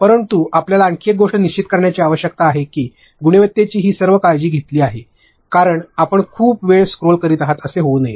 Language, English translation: Marathi, But another thing you need to make sure is that the quality is all this taken care of because you should, it should not be that you are scrolling for ages